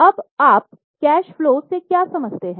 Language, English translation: Hindi, Now what do you understand by cash flow